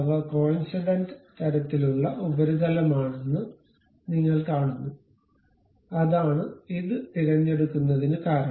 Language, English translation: Malayalam, You see they are coincident kind of surface that is the reason it is pick this one